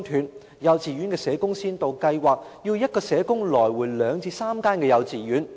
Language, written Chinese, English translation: Cantonese, 在幼稚園的社工先導計劃下，一名社工需要奔走兩至三間幼稚園工作。, Under the pilot scheme to provide social work services for kindergartens a social worker has to work among two to three kindergartens